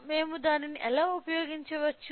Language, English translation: Telugu, So, how that can we utilise